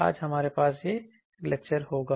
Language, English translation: Hindi, Today, we will have this lecture